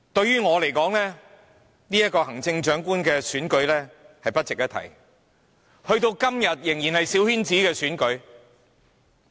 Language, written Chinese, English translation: Cantonese, 於我而言，行政長官的選舉根本不值一提，時至今日，仍然是一場小圈子選舉。, For me the Chief Executive election is not worth mentioning . Up till today it is still a coterie election